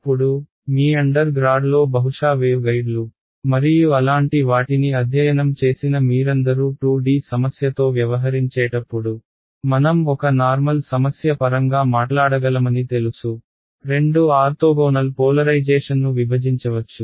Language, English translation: Telugu, Now, when we deal with a 2D problem all of you who have probably studied wave guides and such things in your undergrad, you know that we can talk in terms of a general problem can be studied broken up in to a two orthogonal polarizations, transverse magnetic , transverse electric right